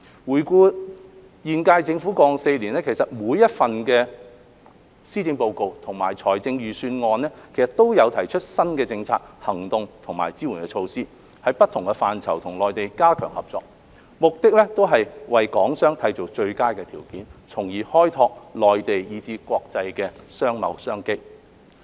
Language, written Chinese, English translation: Cantonese, 回顧現屆政府於過往4年每一份的施政報告及財政預算案中，都有提出新的政策、行動和支援措施，在不同範疇與內地加強合作，目的都是為港商締造最佳的條件，從而開拓內地以至國際的商貿商機。, In each of the policy addresses and budgets prepared by the current - term Government over the past four years there were always new policies actions and support measures to strengthen cooperation with the Mainland in different areas with an aim of creating the best conditions for Hong Kong enterprises to develop business opportunities in the Mainland as well as internationally